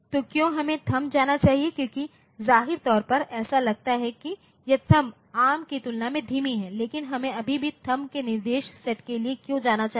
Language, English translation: Hindi, So, why should we go THUMB like apparently it seems that, it is slower than arm, but why should we still go for the THUMB instruction set